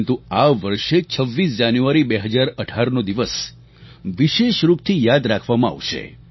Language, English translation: Gujarati, But 26th January, 2018, will especially be remembered through the ages